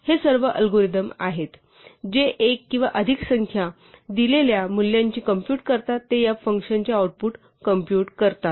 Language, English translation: Marathi, These are all algorithms, which compute values given one or more numbers they compute the output of this function